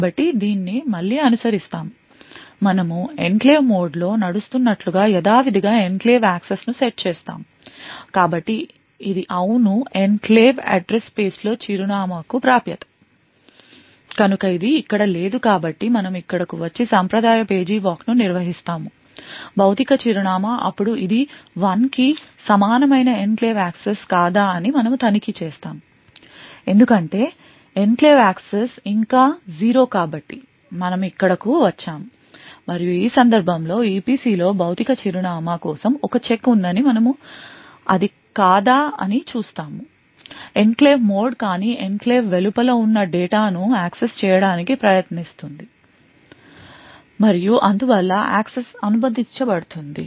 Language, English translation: Telugu, So will follow this again we set the enclave access to zero as usual we are running in enclave mode so this is yes the access to address in enclave address space which is no so we come here we perform the traditional page table walk and obtain the corresponding physical address then we check whether it is an enclave access equal to 1, no so because enclave access is still zero so we come here and we see that there is a check for physical address in EPC in this case is no because we are in the enclave mode but trying to access data which is outside the enclave and therefore the access is permitted